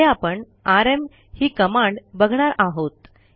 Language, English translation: Marathi, The next command we will see is the rm command